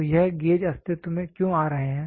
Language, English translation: Hindi, So, why is this gauge coming into existence